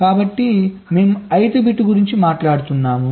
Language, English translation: Telugu, so we are talking of the ith bit